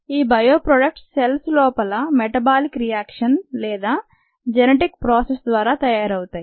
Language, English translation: Telugu, the bio products could be made by the metabolic reactions inside the cells or the genetic processes inside the cells